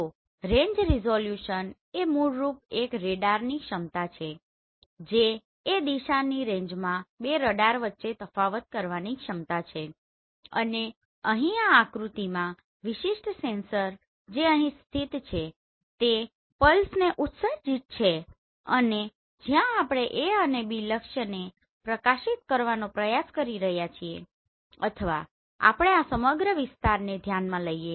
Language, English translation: Gujarati, So range resolution is basically an ability of a radar to distinguish between two radars in the range direction and here in this diagram this particular sensor which is located here is releasing the pulses and where we are trying to illuminate this A and B target or let us consider this whole area right